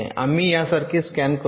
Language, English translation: Marathi, we are scanning in